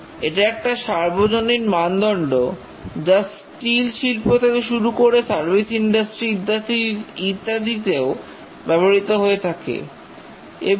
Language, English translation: Bengali, It's a generic standard, starting from steel manufacturing to service industry and so on